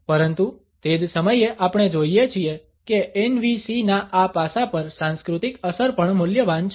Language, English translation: Gujarati, But at the same time we find that the cultural impact on this aspect of NVC is also valuable